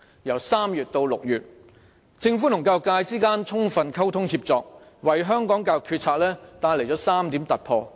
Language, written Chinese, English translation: Cantonese, 由3月至6月期間，政府與教育界充分溝通協作，為香港教育決策帶來了3點突破。, Through comprehensive communication and collaboration with the education sector from March to June the Government has made three breakthroughs in the formulation of policies on education